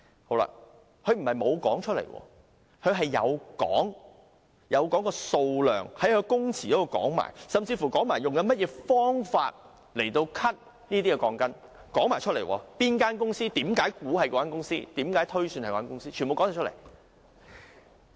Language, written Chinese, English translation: Cantonese, 潘先生不是沒有說出來，他有說出數量，在供詞中說了，甚至說明用甚麼方法剪短那些鋼筋，是哪間公司所為，他為何猜想是該公司，全部都有說出來。, Mr POON did reveal the number of steel bars in his evidence; he even described the method used to cut the steel bars the company he suspected was involved and why he made such a speculation